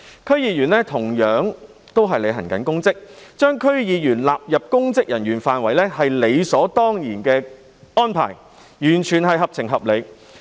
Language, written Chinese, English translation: Cantonese, 區議員同樣是履行公職，所以把區議員納入公職人員範圍也是理所當然的安排，完全合情合理。, As DC members also perform public duties it is thus a reasonable and sensible arrangement to place them under the scope of public officers